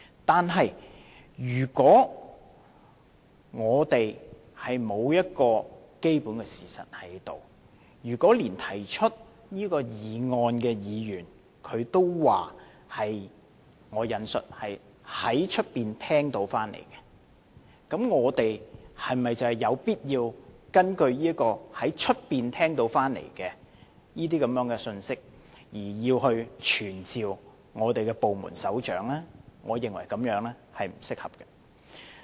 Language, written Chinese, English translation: Cantonese, 但是，如果我們沒有基本的事實，連提出這項議案的議員也說是"在外面聽到的"，我們是否有必要根據這個在外面聽到的信息，而傳召部門首長到立法會呢？, But if the allegations are not based on facts and even the Member who moves this motion also says that he heard about them from outside is it necessary for us to summon the Heads of Department to this Council on the basis of this message heard outside?